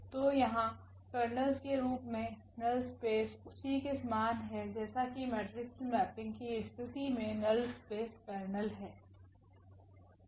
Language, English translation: Hindi, So, here the null space in the form of the kernels is same as the null space of a that is the kernel of the matrix mapping